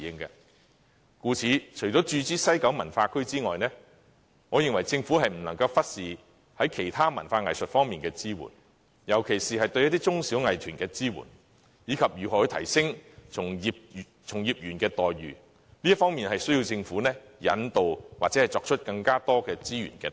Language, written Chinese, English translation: Cantonese, 因此，除了注資西九文化區外，我認為政府亦不能忽視在其他文化藝術方面的支援，特別是對中小藝團的支援，以及從業員待遇的提升，都需要政府引導或投入更多資源。, Hence apart from making capital injection into WKCD I believe the Government should also pay heed to assisting other cultural and arts aspects especially on supporting small - and medium - sized arts groups and on boosting practitioners remunerations areas which call for guidance and additional resources from the Government